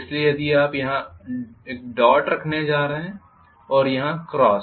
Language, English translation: Hindi, So I am going to have the dot here whereas cross here